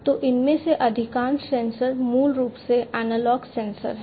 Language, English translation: Hindi, So, most of these sensors basically; most of these sensors are basically analog sensors